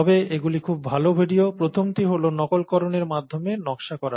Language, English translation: Bengali, But they are very good videos, the first one is design through mimicry